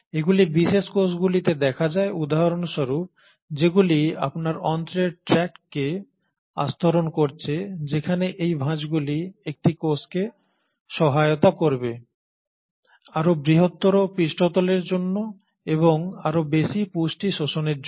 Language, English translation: Bengali, Especially these are seen in cells for example which are lining your intestinal tract where these foldings will help allow a cell, a greater surface area for more and more absorption of let us say nutrients